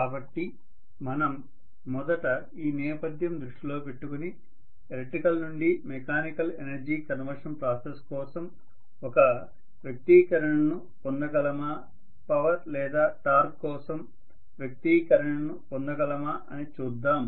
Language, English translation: Telugu, So let us try to first of all see with this background in mind whether we would be able to get an expression for electrical to mechanical energy conversion process, whether we would be able to get an expression for force or torque